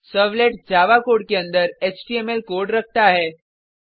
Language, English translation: Hindi, JSPs contain Java code inside HTML code